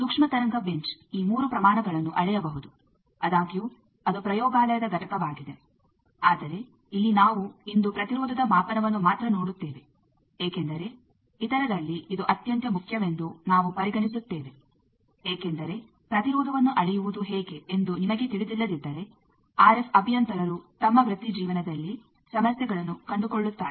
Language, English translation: Kannada, Microwave bench can measure these 3 quantities so; however, that is a laboratory component, but here we will be seeing only impedance measurement in today because we consider this is the most important amongst the others because unless and until you know how to measure impedance, an RF engineer will find problem in his career